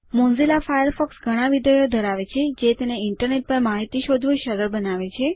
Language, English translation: Gujarati, Mozilla Firefox has a number of functionalities that make it easy to search for information on the Internet